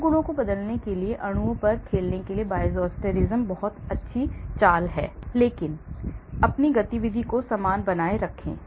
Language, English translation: Hindi, So, Bioisosterism is very nice trick to play on molecules to change these properties but maintain your activity similar